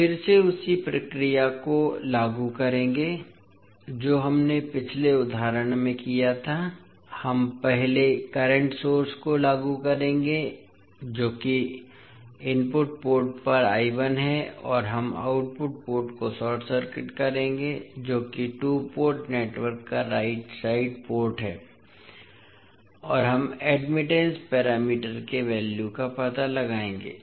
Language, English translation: Hindi, We will again apply the same procedure which we did in the previous example, we will first apply current source that is I 1 at the input port and we will short circuit the output port that is the right side port of the two port network and we will find out the values of admittance parameters